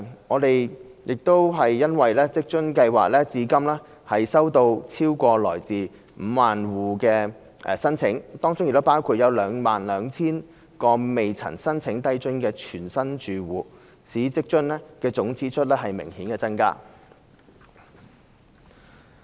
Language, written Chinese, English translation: Cantonese, 我們欣悉職津計劃至今收到來自超過 50,000 個住戶的申請，當中包括約 22,000 個從未申請低津的全新住戶，使職津的總支出顯著增加。, We are pleased to note that over 50 000 applications for WFA have been received so far with about 22 000 of them being new applications submitted by families which did not apply for LIFA before . This will lead to a marked increase in the overall expenditure of WFA